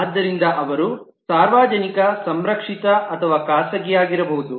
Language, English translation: Kannada, So they could be public, protected or private